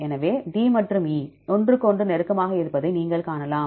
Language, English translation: Tamil, So, you can see D and E are close to each other